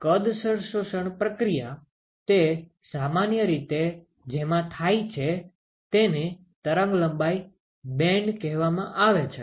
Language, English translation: Gujarati, So, the volumetric absorption process, they occur typically in what is called the wavelength band